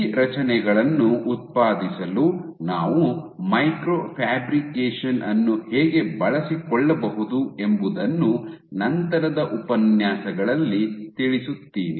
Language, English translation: Kannada, So, later in lectures I will show you how you can make use a micro fabrication to generate these structures